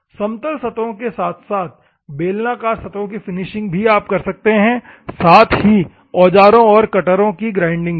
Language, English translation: Hindi, Finishing of the flat surfaces as well as cylindrical surfaces you can do, and grinding of tools and cutters